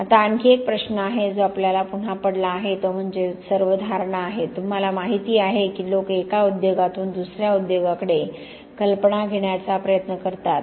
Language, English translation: Marathi, Now one other question which we have is again, it is all about the perception; you know that people try to borrow ideas from one industry to the other